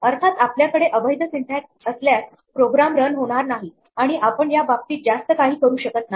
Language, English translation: Marathi, Of course, if we have invalid syntax; that means, the program is not going to run at all and there is not much we can do